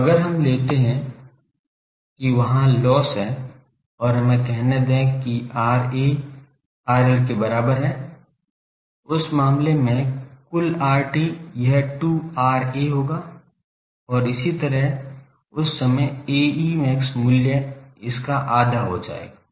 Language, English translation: Hindi, So, if we take that that means, there are losses and let us say that R A is equal to R L, in that case the total R T, that will be 2 R A and so, that time the A e max value will become half of this